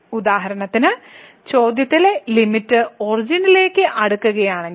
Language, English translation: Malayalam, For example, if the limit in the question is approaching to the origin